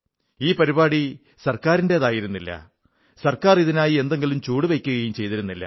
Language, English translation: Malayalam, This was not a government programme, nor was it a government initiative